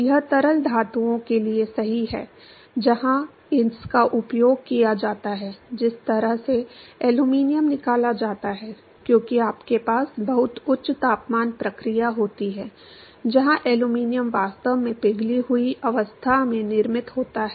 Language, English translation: Hindi, This is true for liquid metals, the place where it is used is, the way aluminum is extracted as you have a very high temperature process, where the aluminum is actually manufactured at a molten state